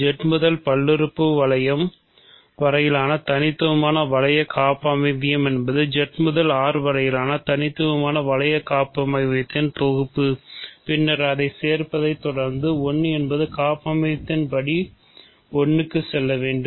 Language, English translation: Tamil, So, the unique ring homomorphism from Z to the polynomial ring is simply the composition of the unique ring homomorphism from Z to R and then followed by the inclusion because, 1 has to go to 1